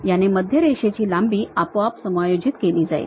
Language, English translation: Marathi, It automatically adjusts that center line length